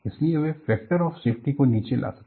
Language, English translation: Hindi, So, they bring down the factor of safety